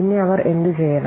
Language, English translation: Malayalam, Then what he should do